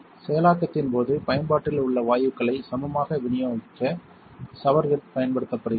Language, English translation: Tamil, The showerhead is used to evenly distribute the gases in use during the processing